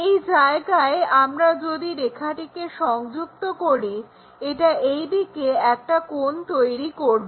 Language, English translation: Bengali, So, if we are joining this line, it makes an angle in that way